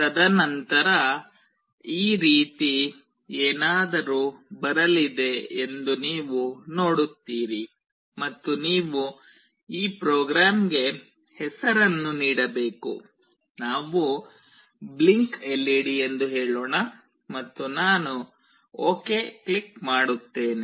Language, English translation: Kannada, And then you see that something like this will come up, and you have to give a name to this program, let us say blinkLED and I click ok